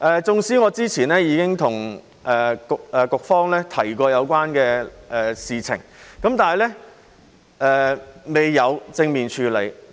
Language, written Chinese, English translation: Cantonese, 縱使我之前已經向局方提及有關的事情，但局方未有正面處理。, Even though I have talked to the Bureau about the matter the Bureau has not dealt with it in a positive way